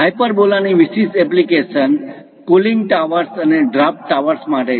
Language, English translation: Gujarati, Hyperbola has special applications for cooling towers and draft towers